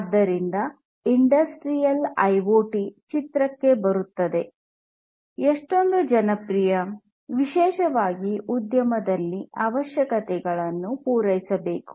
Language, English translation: Kannada, So that is where industrial IoT comes into picture and is so much popular, particularly in the industry